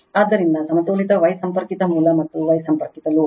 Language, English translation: Kannada, So, balanced star connected source and star connected load